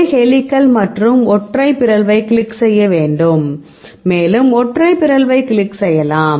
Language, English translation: Tamil, So, we need to a click on a helical and the single mutation and, you can click on the single mutation right